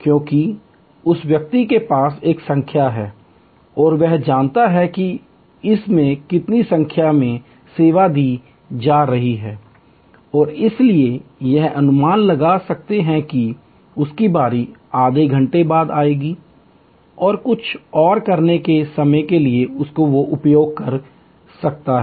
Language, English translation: Hindi, Because, that person has a number and knows the number being served at this movement and therefore, can estimate that his turn will come half an hour later and can utilizes the time to do something else